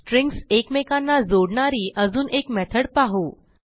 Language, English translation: Marathi, We can create one more method which append strings